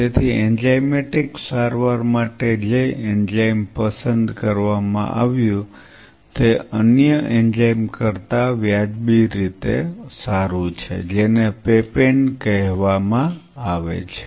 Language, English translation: Gujarati, So, for enzymatic treatment it has been observed the enzyme which is reasonably better than other enzyme is called papain